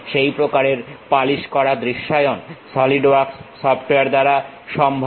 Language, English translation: Bengali, Such kind of visualization is polished possible by Solidworks software